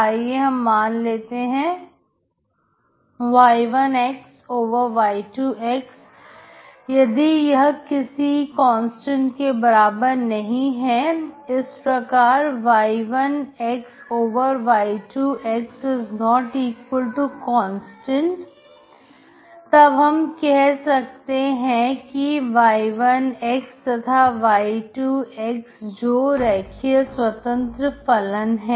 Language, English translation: Hindi, And let us say y1 y2 if this is not equal to constant that isy1 y2≠ constant, then we say that y1, and y2 are two linearly independent functions